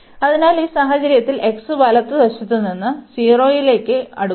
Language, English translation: Malayalam, So, the problem here is when x approaching to 0